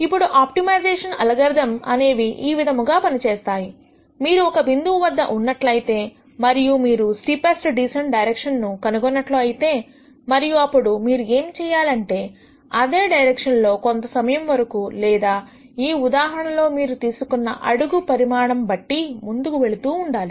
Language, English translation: Telugu, Now, the way optimization algorithms work is the following, you are at a point you find the steepest descent direction, and then what you do is you keep going in that direction till a sensible amount of time or in this case the length of the step that you take in that direction